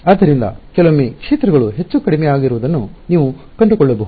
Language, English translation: Kannada, So, you might find sometimes the fields are increasing sometimes the decreasing